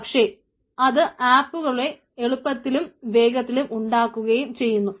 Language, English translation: Malayalam, so it build apps quickly and easily